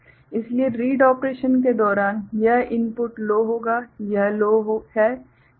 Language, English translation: Hindi, So, during read operation this input will be low, this is low